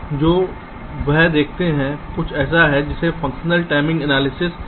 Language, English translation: Hindi, so just, you look at there is something called functional timing analysis